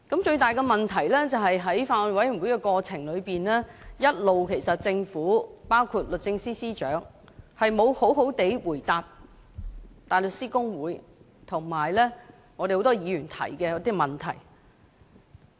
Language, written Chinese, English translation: Cantonese, 最大的問題是，在法案委員會審議的過程當中，政府，包括律政司司長，一直也沒有好好地回答大律師公會和很多議員提出的問題。, The biggest problem is that in the process of scrutiny by the Bills Committee the Government including the Secretary for Justice have all along failed to answer the questions raised by HKBA and many Members properly